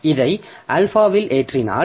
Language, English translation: Tamil, So, so this S into alpha